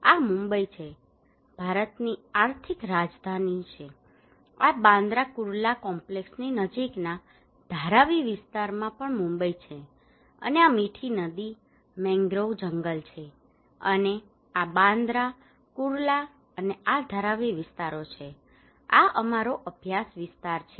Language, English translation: Gujarati, This is Mumbai, the financial capital of India, this is also Mumbai at Dharavi area close opposite to Bandra Kurla complex, and this is Mithi river, mangrove forest and this is Bandra Kurla and this is Dharavi areas okay, this is our study area